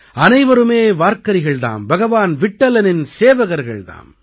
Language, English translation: Tamil, Everyone is a Varkari, a servant of Bhagwan Vitthal